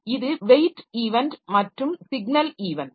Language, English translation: Tamil, So, that is the weight event and signal event